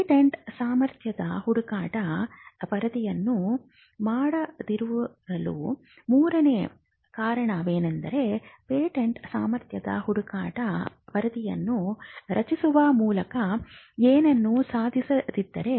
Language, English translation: Kannada, The third reason why you would not go in for a patentability search report is, when there is nothing that will be achieved by generating a patentability search report